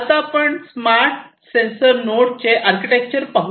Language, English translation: Marathi, So, let us look at the architecture of a smart sensor node